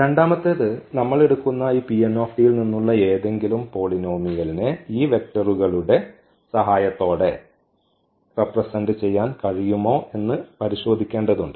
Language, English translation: Malayalam, The second we have to check that any polynomial from this P n t we take can be represent that polynomial with the help of these vectors